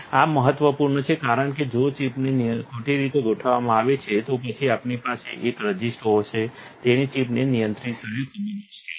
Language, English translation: Gujarati, This is important because if the chip is misaligned, then we will have a resist so chip which is very hard to control